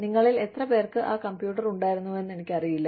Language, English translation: Malayalam, I do not know, how many of you have, had that computer, where you would stick in